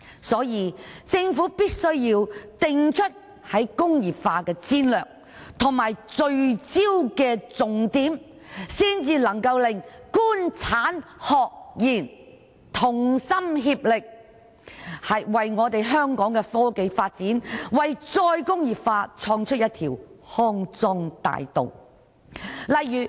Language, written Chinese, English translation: Cantonese, 所以，政府必須定出"工業化"戰略及聚焦重點，才能夠令"官產學研"同心協力，為香港科技發展、為再工業化創出一條康莊大道。, Therefore the Government must formulate the strategy for industrialization and focus on the key areas so that the Government industry academia and research sector can collaborate to create a bright prospect for the development of technology and re - industrialization of Hong Kong